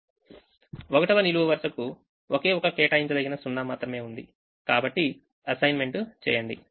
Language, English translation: Telugu, the first column has only one assignable zero, so make the assignment